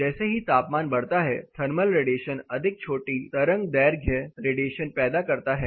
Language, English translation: Hindi, As the temperature rises the thermal radiation produces more short wave length radiation